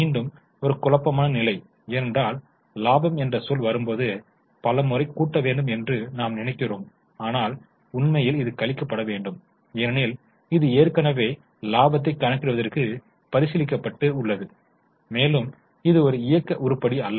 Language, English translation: Tamil, Again a point of confusion because many times when the word profit comes we feel it should be added but in reality it should be deducted because it has already been considered for calculation of profit and it is not an operating item